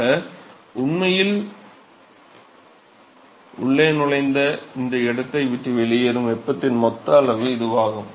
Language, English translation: Tamil, So, that is the total amount of heat that is actually entering this and leaving this place